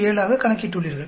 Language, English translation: Tamil, 017 so, what do you do